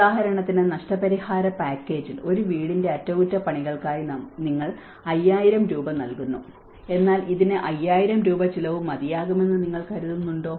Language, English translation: Malayalam, Like for example, in the compensation package, they talked about yes for a house we are giving you 5000 rupees for the repair but do you think it will cost 5000 rupees